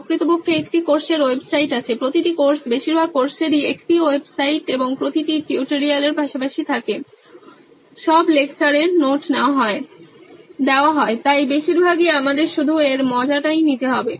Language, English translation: Bengali, Actually there’s a course website, every course, most of the course have a website and every tutorial side by side, all the lecture notes are given on that, so mostly we need to copy just the jest of it